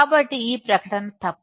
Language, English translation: Telugu, So, this statement is false